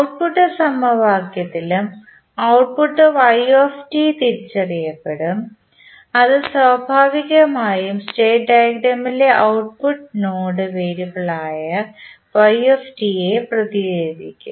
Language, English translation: Malayalam, And then the output yt will also be identified in the output equation we will represent yt that is naturally an output node variable in the state diagram